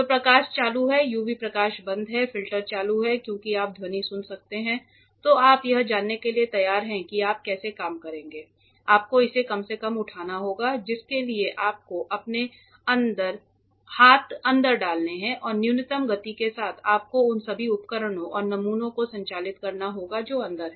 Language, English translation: Hindi, So, the light is on, the UV light is off the filter is on as you can hear the sound then you know you are ready to learn how you will work you have to lift it the bare minimum that you need it to be lifted put your hands inside and with minimum movement you have to operate all the equipment and samples that are inside